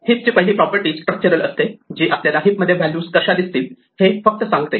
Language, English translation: Marathi, The other property with the heap, the first property is structural, it just tells us how the values look in the heap